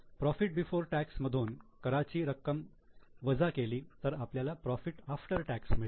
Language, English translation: Marathi, Now, profit before tax minus tax you get profit after tax